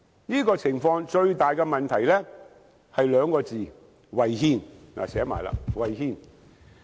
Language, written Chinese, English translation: Cantonese, 這個情況最大的問題是兩個字——違憲，我已寫出來。, The biggest problem is as I have already written on the placard it is unconstitutional